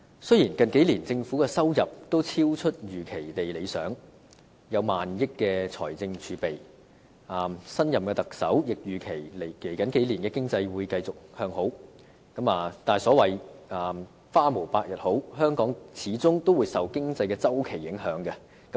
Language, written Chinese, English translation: Cantonese, 雖然近數年政府收入都超出預期地理想，有高達萬億元的財政儲備，新任特首亦預期未來數年的經濟會繼續向好，但所謂"花無百日好"，香港始終會受經濟周期影響。, The Government has in recent years recorded higher - than - expected revenue amassing a fiscal reserve of as much as a thousand billion dollars and the new Chief Executive also expected the economy to remain in good shape in the next few years . But as the saying goes nothing good lasts forever Hong Kong is after all susceptible to economic cycles